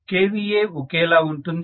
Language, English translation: Telugu, So base kVA is 2